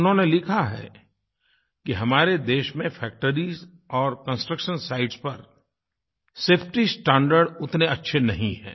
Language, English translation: Hindi, He writes that in our country, safety standards at factories and construction sites are not upto the mark